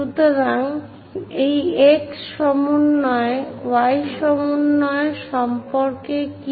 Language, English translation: Bengali, So, what about this x coordinate, y coordinate